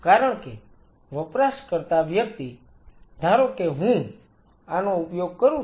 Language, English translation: Gujarati, Because the person, the user suppose I am using this